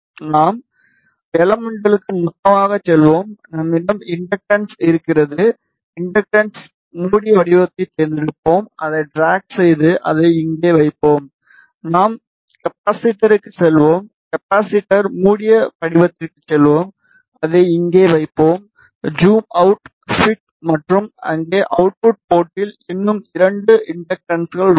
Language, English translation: Tamil, We will go to elements, we will go to lumped, we will have inductor, we will choose inductor closed form, drag, place it here, we will go to capacitor, capacitor closed form, we will place it here, just zoom out a bit and we have two more inductances at here and at the output port